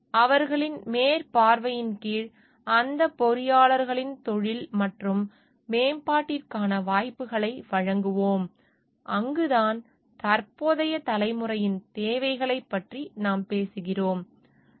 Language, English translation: Tamil, And shall provide opportunities for the profession, and development of those engineers under their supervision that is where, we talking of taking care of the present generations needs,